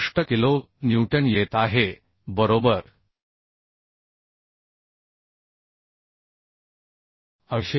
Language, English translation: Marathi, 65 kilonewton right 800